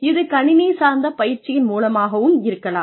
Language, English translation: Tamil, It could even be through computer based training